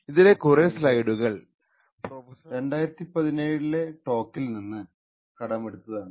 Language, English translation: Malayalam, A lot of these slides are actually borrowed from Professor Onur Mutlu’s talk in 2017